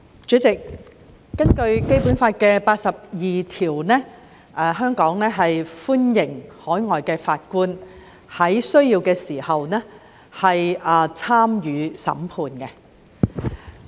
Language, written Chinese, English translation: Cantonese, 主席，根據《基本法》第八十二條，香港歡迎海外法官在有需要時參加審判。, President according to Article 82 of the Basic Law Hong Kong welcomes overseas judges to sit on trials as required